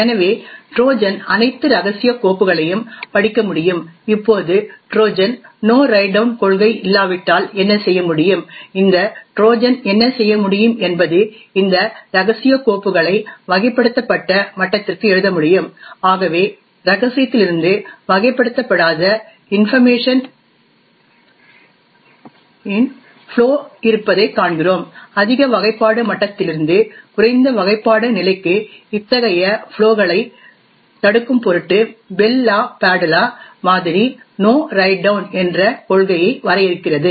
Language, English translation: Tamil, Therefore the Trojan can read all the confidential files, now what the Trojan can do if there is No Write Down policy what this Trojan could do is that it could write this confidential files to the classified level, thus we see that there is a flow of information from confidential to unclassified, in order to prevent such flows from a higher classification level to a lower classification level the Bell LaPadula model defines the No Write Down policy